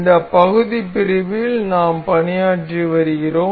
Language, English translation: Tamil, We have been working on this part section